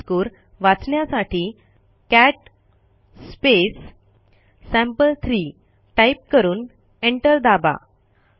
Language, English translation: Marathi, Let us see its content, for that we will type cat sample3 and press enter